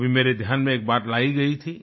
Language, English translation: Hindi, Once, an interesting fact was brought to my notice